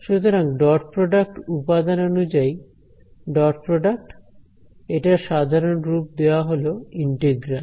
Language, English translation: Bengali, So, the dot product element wise dot product, it generalizes to a integral